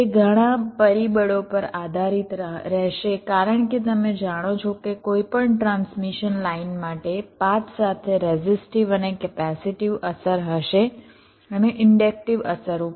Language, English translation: Gujarati, they will depend on number of factors because, you know, for any transmission line there will be resistive and the capacitive affect along the path, and means also inductive effects